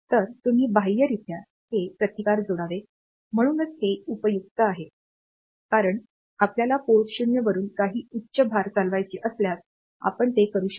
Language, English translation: Marathi, So, you should connect these resistances externally; so, this is helpful because if you want to drive some high load from port 0; so you can do that